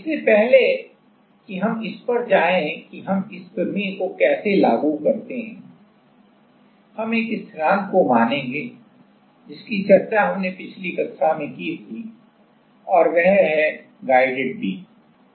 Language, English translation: Hindi, Before we go to that exactly how we apply this theorem, we will consider one of the constant which we discussed in last class that is guided beam